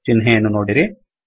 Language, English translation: Kannada, See the symbol